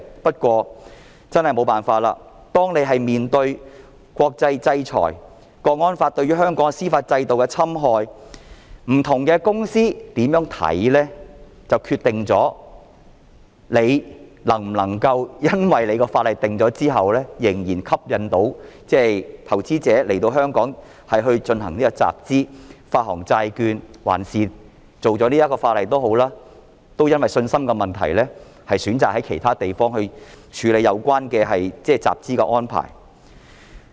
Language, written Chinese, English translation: Cantonese, 不過，真的沒法子，面對的國際制裁、《港區國安法》對於香港司法制度的侵害、不同公司有甚麼看法，就決定了訂立法例後能否仍然吸引投資者在香港進行集資、發行債券，還是即使訂立了法例，投資者會因為信心的問題而選擇在其他地方處理有關集資的安排。, However this is useless . In the face of international sanctions and the damage done to Hong Kongs legal system by the implementation of the National Security Law in HKSAR the views held by different companies will determine whether or not Hong Kong is still attractive to investors who wish to conduct fund - raising activities and to issue bonds in Hong Kong after the legislation is enacted or even with the enactment of the legislation investors will choose to carry out fund - raising activities in other places because of their lack of confidence